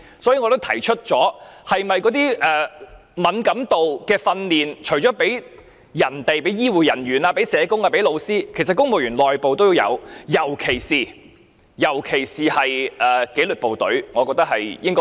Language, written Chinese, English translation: Cantonese, 所以，我已經提出，那些關於敏感度的訓練，除了向醫護人員、社工及老師提供外，其實公務員內部是否也應該提供？, Therefore as I have already raised apart from health care personnel social workers and teachers should civil servants be also provided internally with sensitivity training?